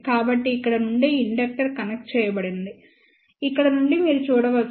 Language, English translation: Telugu, So, from here you can see that this is the inductor which is connected over here